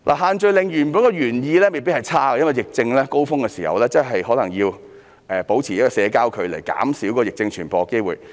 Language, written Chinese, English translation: Cantonese, 限聚令的原意未必差，因為在疫情的高峰期，保持社交距離真的有助減少疫症傳播的機會。, The original intent of these restrictions is not necessarily bad because at the peak of the epidemic outbreak social distancing can really help reduce the chance of spreading the disease